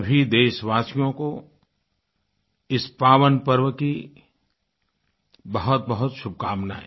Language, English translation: Hindi, Heartiest greetings to all fellow citizens on this auspicious occasion